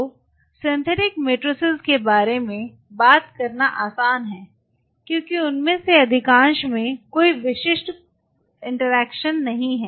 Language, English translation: Hindi, So, talking about the synthetic matrix it is easy to talk about the synthetic matrix because most of them do not have any specific interaction such